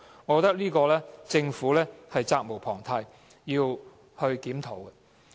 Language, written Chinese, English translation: Cantonese, 我覺得政府在這方面責無旁貸，需要檢討。, I think that the Government must be held accountable in this regard and reviews need to be conducted